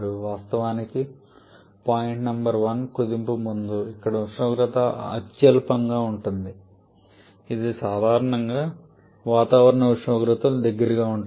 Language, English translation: Telugu, Of course point number 1 there point before state before compression where the temperature if the lowest which is commonly close to the atmospheric temperature